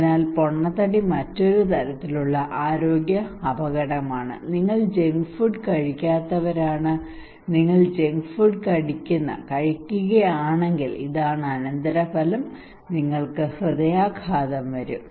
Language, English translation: Malayalam, So obesity is another kind of health risk that you do not eat junk food if you are junk get taking junk food eating junk food then this is the consequence, okay and you will get heart attack